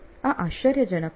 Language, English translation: Gujarati, This is amazing